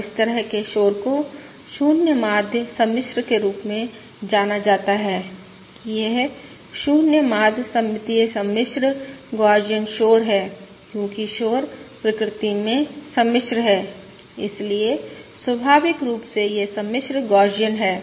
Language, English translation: Hindi, And such a noise is known as 0 mean, ah, complex, that this 0 mean symmetric, complex, Gaussian noise, because the noise is complex in nature